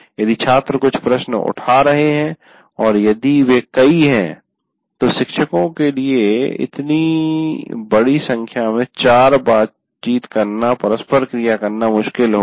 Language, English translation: Hindi, If there are some questions students are raising and if there are plenty then it will be difficult for faculty member to interact with large numbers